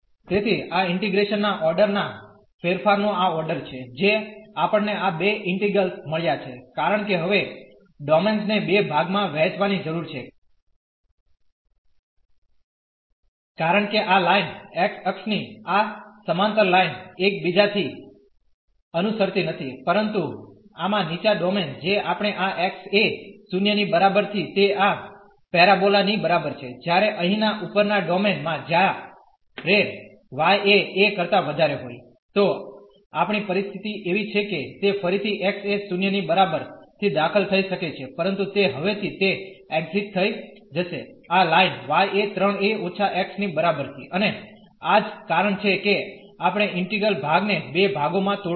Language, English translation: Gujarati, So, this is the order the change of order of integration we got this 2 integrals because we need to divide now the domain into 2 parts because the line this parallel to this x axis was not following from 1 to the another one, but in this lower domain we had from this x is equal to 0 to this parabola while in the upper domain here when y is greater than a, then we have the situation that it is entering again at x is equal to 0, but it will exit now from this line y is equal to 3 a minus x and that is the reason we have to break the integral into 2 parts